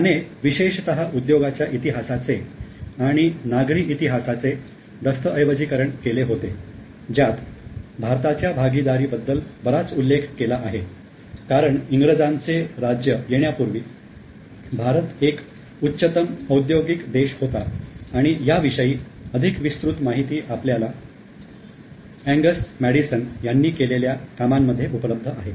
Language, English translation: Marathi, He has specifically documented the history of industry and also the urban history where a lot has been stated about the share of India because India was a highly industrialized country before the arrival of British and a more detailed record is available from the work of Angus Medicine